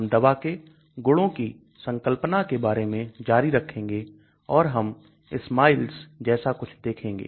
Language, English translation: Hindi, We will continue on the concept of drug properties and we will also look at something called SMILES